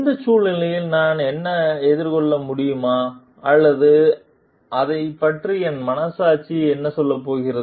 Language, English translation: Tamil, Will I be able to face myself in this situation or what is my conscience going to tell about it